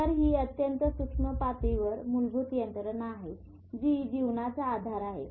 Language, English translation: Marathi, So, this is the basic mechanism at a very micro level which is the basis of life